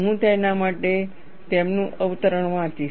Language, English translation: Gujarati, I will read his quote for that